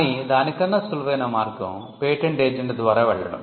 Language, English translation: Telugu, But the preferred route is through a patent agent